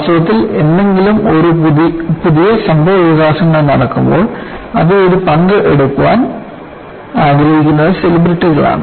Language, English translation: Malayalam, In fact, when any new developments take place, it is a celebrity who wants to take a share of it